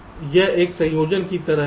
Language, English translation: Hindi, ok, so it is like a combination